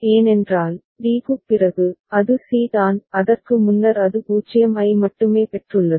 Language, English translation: Tamil, Because, after d that means, it is c it is before that it has received only 0